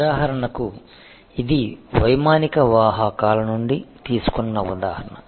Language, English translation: Telugu, So, for example, this is a example taken from airline carriers